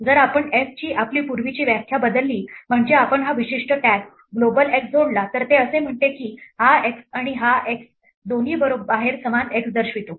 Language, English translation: Marathi, If we change our earlier definition of f, so that we add this particular tag global x then it says that this x and this x both refer to the same x outside